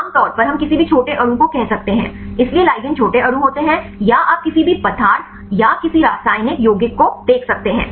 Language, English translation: Hindi, Generally we can say any small molecule, so ligands are small molecules or you can see any substance or any chemical compound right